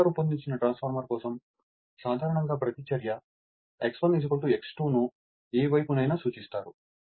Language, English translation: Telugu, For a well designed transformers generally reactance is X 1 is equal to X 2 referred to any side right